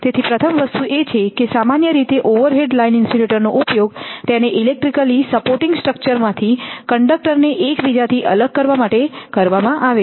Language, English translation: Gujarati, So, first thing is that overhead line insulators are used to separate the conductors from each other and from the supporting structure electrically right